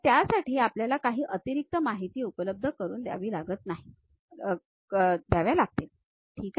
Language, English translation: Marathi, We may have to provide certain additional features for that, ok